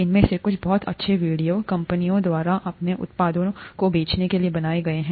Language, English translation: Hindi, Some of these very nice videos have been made by companies to sell their products